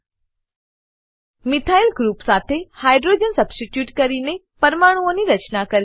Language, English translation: Gujarati, * Build molecules by substitution of Hydrogen with Methyl group